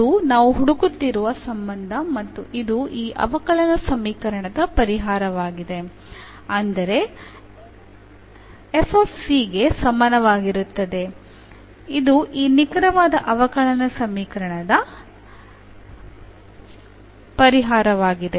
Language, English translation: Kannada, So, that is the relation we are looking for and this is the solution of this differential equation f is equal to c, this is the solution of this exact differential equation